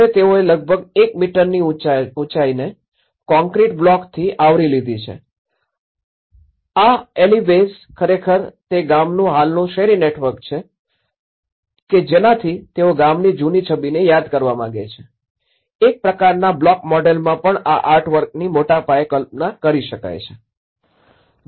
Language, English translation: Gujarati, Now, what they did was they put, they covered with almost a 1 meter height of the concrete blocks and these alleyways are actually the existing street network of that village so that they want to bring that memory of the skeleton of that village as it is in a kind of block model but one can imagine of the scale of this artwork